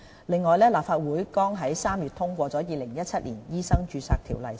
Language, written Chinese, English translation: Cantonese, 另外，立法會剛於3月通過《2017年醫生註冊條例草案》。, Besides the Legislative Council just passed the Medical Registration Amendment Bill 2017